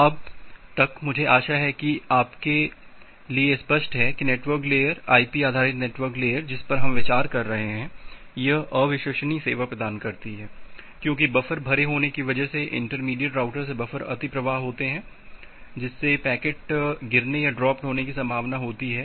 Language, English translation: Hindi, By the time I hope it is clear to you that the network layer, the IP based network layer that we are considering it is providing unreliable service because of this a buffer filled up are buffer over flow from intermediate routers, there is a possibility of packet drop